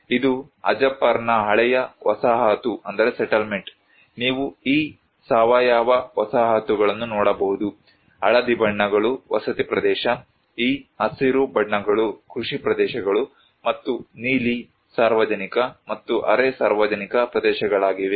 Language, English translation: Kannada, This was the old settlement of Hajapar you can see this organic settlements, the yellow ones are the residential area, these greens are the agricultural areas and the blue are public and semi public areas